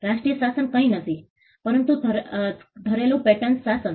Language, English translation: Gujarati, The national regime is nothing, but the domestic patent regime